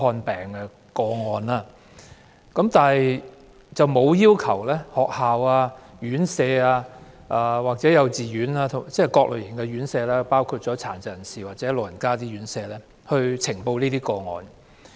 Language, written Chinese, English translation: Cantonese, 但是，當局沒有要求學校、院舍——即各類型院舍，包括殘疾人士和長者院舍——及幼稚園呈報這些個案。, However the authorities have not requested schools and residential care homes―various residential care homes including those for persons with disabilities and for the elderly―and kindergartens to report such cases